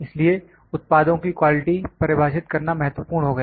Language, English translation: Hindi, So, it became important to better define the quality of the products